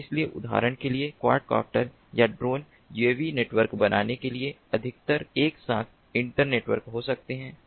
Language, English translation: Hindi, so quad copters, for example, or drones more generally, can be internetwork together to form uav networks